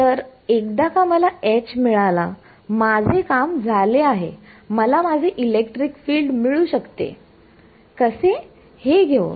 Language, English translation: Marathi, So, once I have got H, I am done I can get my electric field how; by taking